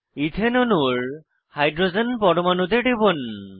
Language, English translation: Bengali, Click on the hydrogen atom in the ethane molecule